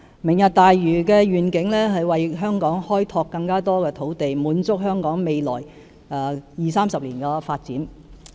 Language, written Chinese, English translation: Cantonese, "明日大嶼"的願景是為香港開拓更多土地，滿足香港未來二、三十年的發展需要。, The vision of Lantau Tomorrow is to create more land for Hong Kong to meet the development needs in the next 20 to 30 years